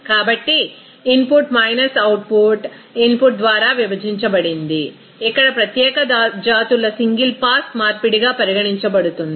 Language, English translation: Telugu, So input minus output divided by input that will be regarded as single pass conversion of here particular species